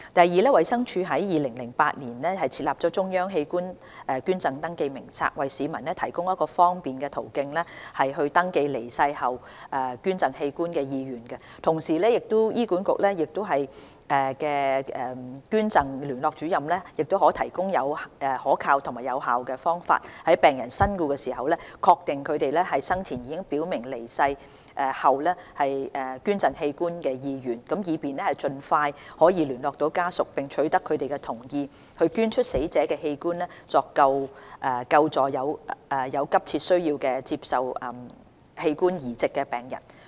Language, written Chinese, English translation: Cantonese, 二衞生署於2008年設立中央器官捐贈登記名冊，為市民提供一個方便的途徑登記離世後捐贈器官的意願，同時為醫管局器官捐贈聯絡主任提供可靠及有效的方法，在病人身故時確定他們生前已表明離世後捐贈器官的意願，以便盡快聯絡家屬並取得他們的同意，捐出死者的器官來救助有急切需要接受器官移植的病人。, 2 DH launched the Centralised Organ Donation Register CODR in 2008 to provide members of the public with a convenient channel to register their wish to donate organs after death . CODR also provides a reliable and effective means for HAs Organ Donation Coordinators to ascertain upon patients death their previously expressed wish to donate organs so that they may approach the patients families as soon as possible to seek their consent for donation of the deceaseds organs in order to save patients in urgent need of organ transplant